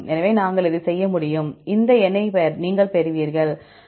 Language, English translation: Tamil, So, we could do this, you will get this number